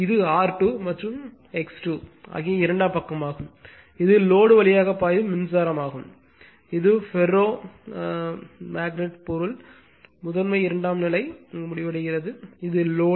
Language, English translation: Tamil, And this is the secondary side that R 2 and X 2 and this is the current flowing through the load this is that your that ferromagnetic material primary ending secondary so, on and this is the load